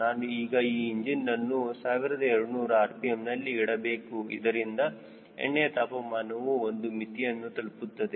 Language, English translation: Kannada, i need to put the engine on twelve hundred rpm so that the oil temperature comes to the limit